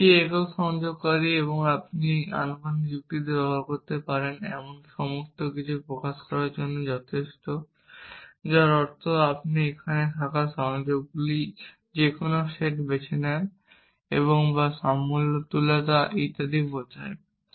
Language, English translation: Bengali, This one single connective enough to express everything you can express in proportional logic which means you choose any set of connectives that we have here and or implies equivalence and so on